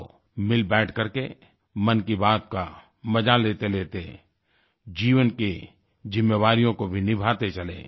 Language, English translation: Hindi, Let's sit together and while enjoying 'Mann Ki Baat' try to fulfill the responsibilities of life